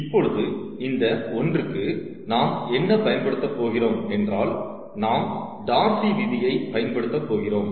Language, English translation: Tamil, now for this one, what we will use is: we are going to use darcys law